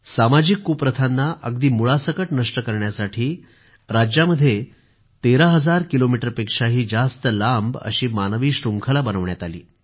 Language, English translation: Marathi, In order to uproot social ills in the state, the world's longest human chain spanning over thirteen thousand kilometers was formed